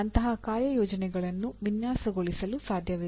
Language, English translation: Kannada, It is possible to design such assignments